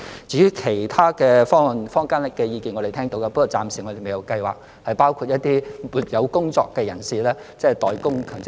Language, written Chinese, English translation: Cantonese, 至於其他方案，坊間的意見我們是聽到的，但我們暫時未有計劃為一些沒有工作的人士一併代供強積金。, As for other options we have listened to the views of the community but for the time being we have no plan to pay MPF contributions for those who have no jobs